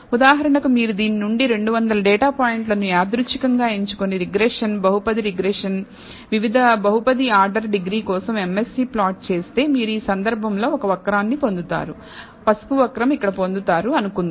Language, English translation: Telugu, For example, if you choose 200 data points out of this randomly and perform regression, polynomial regression, for different polynomial order degree and plot the MSE, you will get let us say one curve in this case let us say the yellow curve you get here